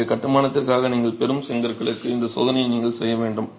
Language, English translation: Tamil, So, you actually have to make this check for the lot of bricks that you are getting for the construction